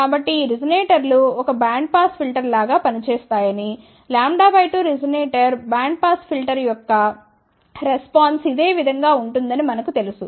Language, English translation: Telugu, So, these resonators will act like a bandpass filter, we know that a lambda by 2 resonator will actually speaking have a bandpass filter response like this ok